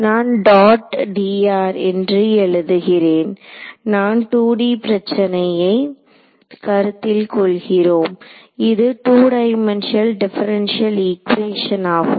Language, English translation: Tamil, So, I have written dot d r since we are considering a 2D problem this is a two dimensional differential